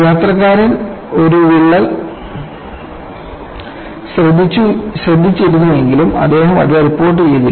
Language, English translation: Malayalam, So, the passenger had noticed a crack, but he has not reported it